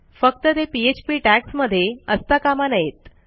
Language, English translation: Marathi, So long as it is not between Php tags